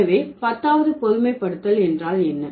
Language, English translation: Tamil, So, that's about tenth generalization